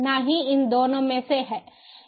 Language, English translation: Hindi, neither of these two